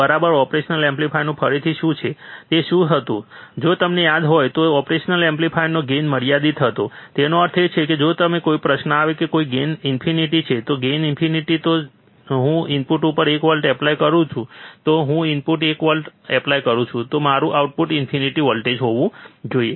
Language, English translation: Gujarati, What is the again of the operational amplifier, what was that if you remember, the gain of an operational amplifier was in finite; that means, that if then a question comes that, if the gain is infinite, if the gain is infinite then if I apply 1 volts at the input, if I apply one volt at the input, then my output should be infinite voltages, right isn't it